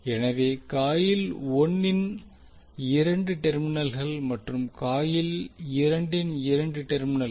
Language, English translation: Tamil, So two terminals of coil 1 and two terminal of coil 2